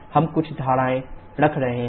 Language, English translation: Hindi, We are putting a few assumptions